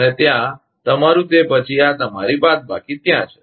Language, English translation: Gujarati, And there, your then, this is your minus thing is there